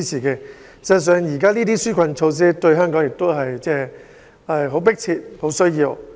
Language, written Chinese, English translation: Cantonese, 事實上，這些紓困措施於香港而言是迫切需要的。, In fact such relief measures are critical and badly needed by Hong Kong